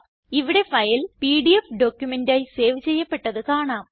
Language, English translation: Malayalam, Here we can see the file is saved as a PDF document